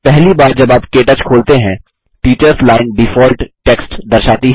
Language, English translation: Hindi, The first time you open KTouch, the Teachers Line displays default text